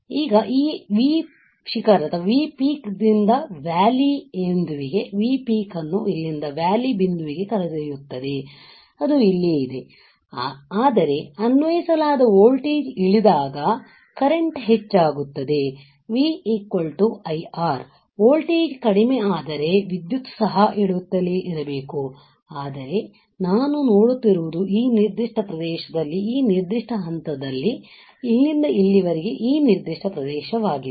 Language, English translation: Kannada, Now, if it will lead out V peak from V peak to the valley point from here peak voltage to the valley point which is right over here, right the applied voltage drops while the current increases V equals to IR, right, if I my voltage is dropping my current should also keep on dropping, but what I see is that at this particular point in this particular region from here till here this particular region, right